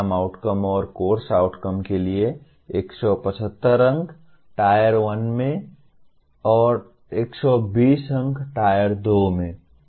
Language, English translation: Hindi, Program outcomes and course outcomes 175 for Tier 1 and 120 for Tier 2